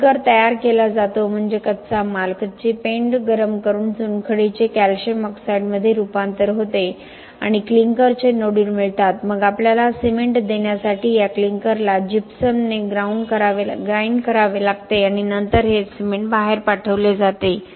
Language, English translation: Marathi, The clinker is prepared that means the raw material, the raw meal is heated up limestone transforms to calcium oxide and gives us nodules of clinker then this clinker has to be ground with gypsum to give us cement and then this cement is sent out